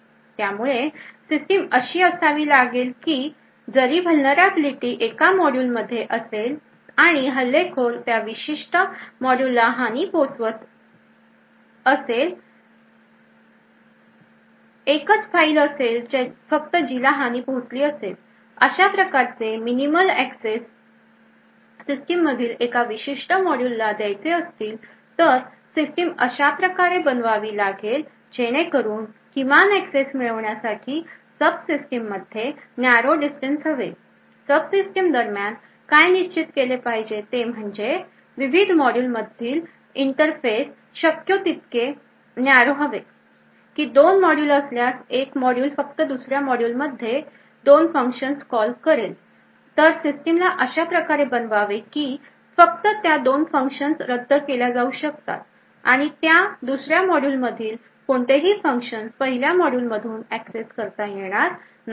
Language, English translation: Marathi, The only file that gets compromised there would be only one file that gets compromised, so in order to achieve this minimal access for a particular module the system should be defined so that there are narrow interfaces between the sub systems in order to achieve this minimal access between the sub systems what should be defined is that the interface between the various modules should be as narrow as possible that is to say if there are two modules and one module just calls two functions in another module then the system should be defined in such a way that only those two functions can be evoked and no other function from that second module is accessible from the first module